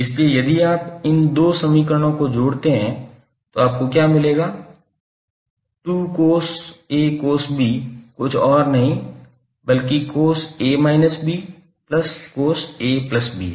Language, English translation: Hindi, So if you sum up these two equations what you will get, two times cos A cos B is nothing but cos A minus B plus Cos A plus B